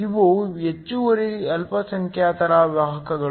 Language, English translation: Kannada, These are the excess minorities carriers